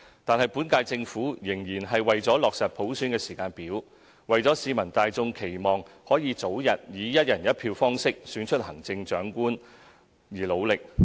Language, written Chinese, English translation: Cantonese, 不過，本屆政府仍然為落實普選時間表，為市民大眾期望可以早日以"一人一票"方式選出行政長官而努力。, Nevertheless the current - term Government still made strenuous efforts in finalizing a timetable for universal suffrage in light of the public expectation of selecting the Chief Executive by one person one vote as early as possible